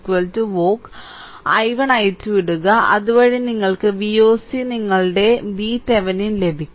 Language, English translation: Malayalam, Put i 1 i 2 is you get V oc is equal to your V Thevenin